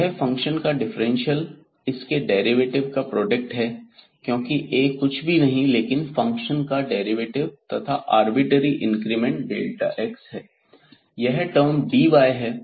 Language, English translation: Hindi, So, this differential of the function is the product of its derivative because A is nothing, but the derivative of this f and the arbitrary increment delta x